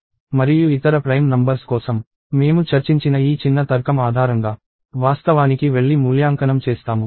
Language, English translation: Telugu, And for the other prime numbers, we will actually go and evaluate based on this small logic that we discussed